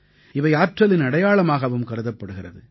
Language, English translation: Tamil, They are considered a symbol of energy